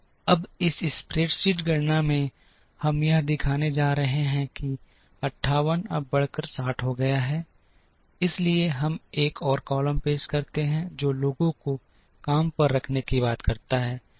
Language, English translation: Hindi, Now, in this spreadsheet calculation, we are going to show that this 58 is now increased to 60, so we introduce another column which talks about hiring people